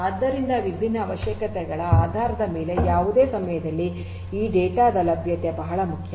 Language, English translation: Kannada, So, availability of this data at any time based on the different requirements is very important